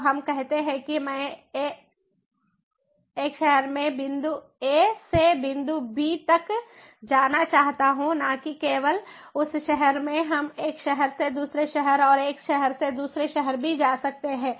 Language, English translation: Hindi, so let us say that i want to go in a city from point a to point b, not just in the city, we can even go from one city to another city as well, one city to another city